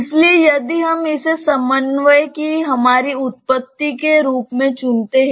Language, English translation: Hindi, So, if we choose this as our origin of the coordinate